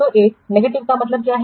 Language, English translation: Hindi, So that means it is negative